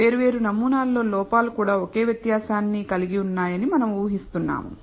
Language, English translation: Telugu, We also assume that the errors in different samples have the same variance